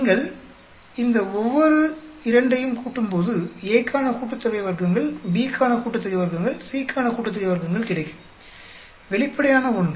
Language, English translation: Tamil, When you add each these two, we will get sum of squares for A, sum of squares for B, sum of squares for C, straight forward